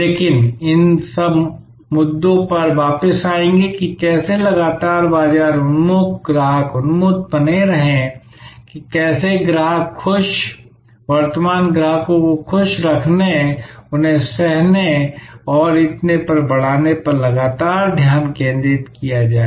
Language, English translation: Hindi, But, we will come back to these issues about, how to remain constantly market oriented, customer oriented, how to remain constantly focused on enhancing the customer delight, current customers delight, co opting them and so on